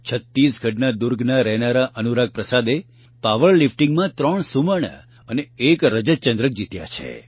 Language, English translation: Gujarati, Anurag Prasad, resident of Durg Chhattisgarh, has won 3 Gold and 1 Silver medal in power lifting